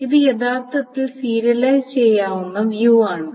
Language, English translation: Malayalam, So this is actually view serializable